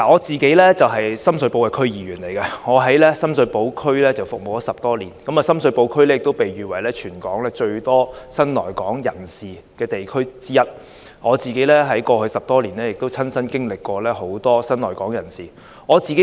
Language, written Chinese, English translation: Cantonese, 主席，我是深水埗區議員，已服務深水埗區10多年，而深水埗區亦被譽為全港最多新來港人士的地區之一，我在過去10多年也曾親身服務很多新來港人士。, President I am a District Council member of the Sham Shui Po and have been serving the district for over 10 years . Sham Shui Po District has also been described as one of the districts with the highest number of new immigrants in Hong Kong and I have served a large number of new immigrants personally in the past 10 - odd years